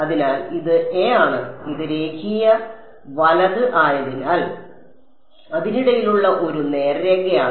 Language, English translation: Malayalam, So, it is a and it is a straight line in between because it is linear right